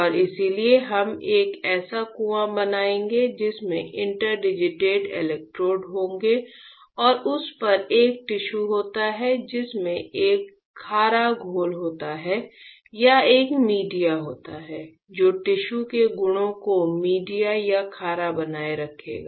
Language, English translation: Hindi, And that is why we will create a well in which this there will be interdigited electrodes and on that there is a tissue in which there is a saline solution or a media that will keep the tissue properties intact right media or saline